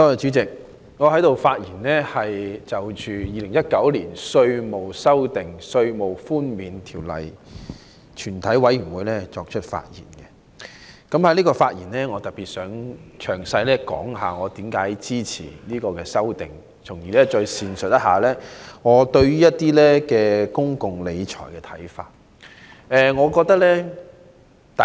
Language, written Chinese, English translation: Cantonese, 主席，我想藉着是次在《2019年稅務條例草案》全體委員會審議階段的發言，詳細說明我為何支持當局的修正案，以及闡述我對公共理財的看法。, Chairman I would like to speak at the Committee stage of the Inland Revenue Amendment Bill 2019 to elaborate on the reasons why I support the amendments proposed by the Government as well as my views on public finance